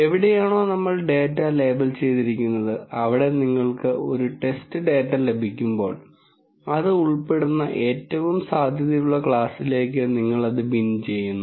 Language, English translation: Malayalam, Where we have labelled data and when you get a test data, you kind of bin it into the most likely class that it belongs to